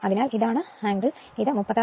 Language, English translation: Malayalam, So, this is the angle right so, it will be 36